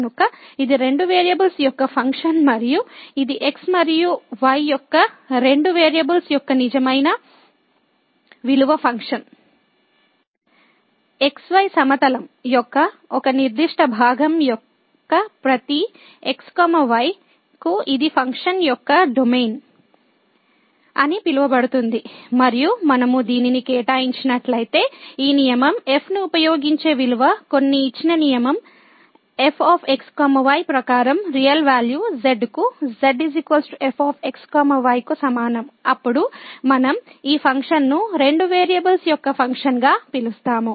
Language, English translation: Telugu, So, its a function of two variables and this is a real valued function of two variables and if to each of a certain part of x y plane which is called the domain of the function and if we assign this value using this rule is equal to is equal to to a real value according to some given rule ; then, we call this function as a Function of Two Variables